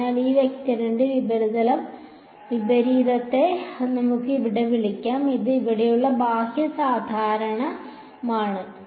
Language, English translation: Malayalam, So, let us call the opposite of this vector over here right that is the outward normal over here